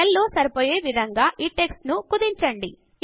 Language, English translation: Telugu, Shrink this text to fit in the cell